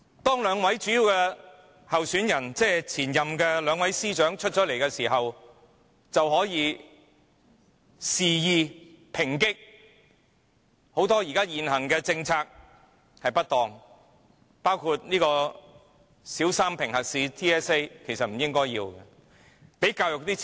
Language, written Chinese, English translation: Cantonese, 當兩位主要參選人即兩位前任司長宣布參選後，便可肆意抨擊現行很多政策的不當，包括應取消小三評核試，而對教育則應增加撥款。, After the two leading aspirants the two former Secretaries of Departments announced their aspiration for candidacy they criticized extensively the many inadequacies of the existing policies stating among others the need to abolish the Territory - wide System Assessment for Primary Three students and increase funding for education